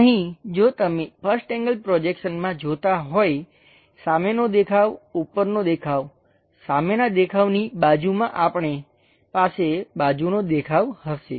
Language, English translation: Gujarati, Here if you are say seeing the first one, for first angle projection, the front view, the top view, next to front view, we will have a side view